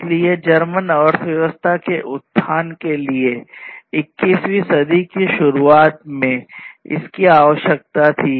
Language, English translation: Hindi, So, it was required in that early 21st century to uplift the German economy